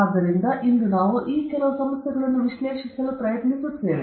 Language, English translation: Kannada, So, we will very briefly try to analyze some of these problems today